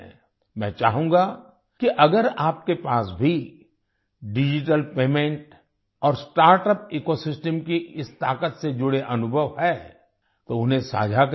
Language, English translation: Hindi, I would like you to share any experiences related to this power of digital payment and startup ecosystem